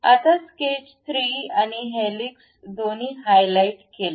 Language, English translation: Marathi, Now, pick sketch 3 and also helix, both are highlighted